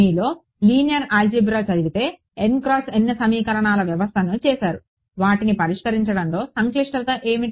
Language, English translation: Telugu, Those of you done linear algebra n by n system of equations what is the complexity of solving them